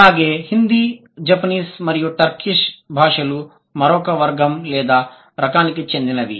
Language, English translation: Telugu, Hindi, Japanese and Turkish, they are going to come under the other category or the other type